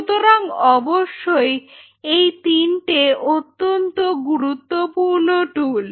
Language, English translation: Bengali, So, definitely these 3 are some of the very important tools